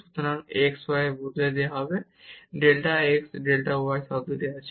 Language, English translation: Bengali, So, x y will be replaced by delta x delta y term is there